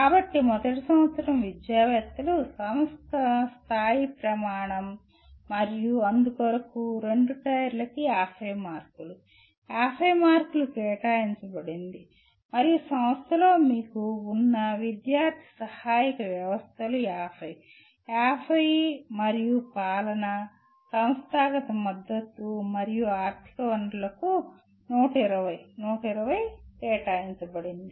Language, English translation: Telugu, So first year academics is the institution level criterion and they carry 50, 50 marks each and student support systems that you have in the institution carry 50, 50 and governance, institutional support and financial resources they are given 120, 120